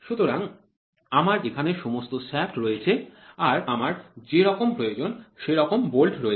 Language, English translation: Bengali, So, I have all the shafts here whatever it is I have the bolts here